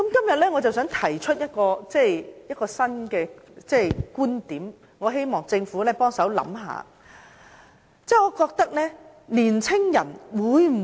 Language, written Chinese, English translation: Cantonese, 我想在今天提出一個新的觀點，希望政府可以幫忙想一想。, I would like to raise a new viewpoint today and invite the Government to think about it